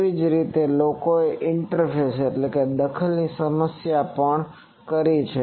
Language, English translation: Gujarati, Likewise people have done also the interference problem